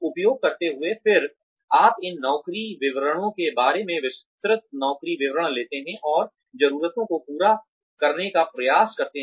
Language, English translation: Hindi, Using, then you take detailed job description, and try and cater to the needs, of these job descriptions